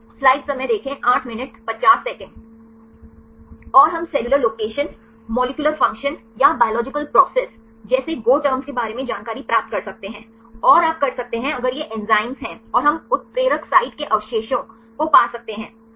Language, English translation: Hindi, And we can get the information regarding the go terms like the cellular location, molecular function or biological process; and you can if it is enzymes and we can get the catalytic site residues right